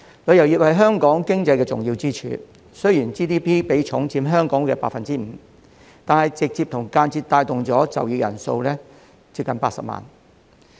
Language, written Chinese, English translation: Cantonese, 旅遊業是香港經濟的重要支柱，雖然 GDP 比重佔香港的 5%， 但旅遊業直接及間接帶動的就業人數接近80萬人。, Tourism is an important pillar of the economy in Hong Kong . It directly and indirectly employs almost 800 000 people though it only accounts for 5 % of the GDP